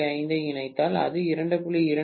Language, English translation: Tamil, If I say it is a 2